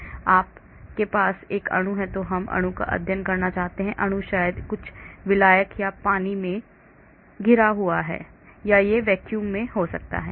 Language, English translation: Hindi, So if you have a molecule I want to study the molecule so the molecule maybe surrounded by some solvent or water or it could be in vacuum